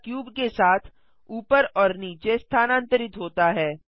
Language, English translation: Hindi, The camera moves up and down alongwith the cube